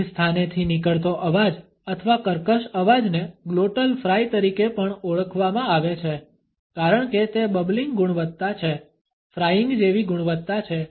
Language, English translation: Gujarati, A Laryngealized or creaky voice is also referred to as a glottal fry because of it is bubbling quality, a frying like quality